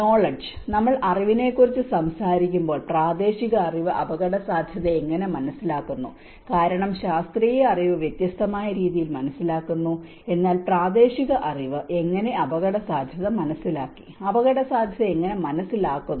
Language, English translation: Malayalam, The knowledge: when we talk about knowledge, how local knowledge understand risk because the scientific knowledge understands in a different way but how the local knowledge have perceived the risk, how they understand the risk